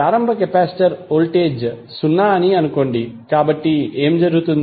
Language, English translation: Telugu, Assume initial capacitor voltage to be zero, so what will happen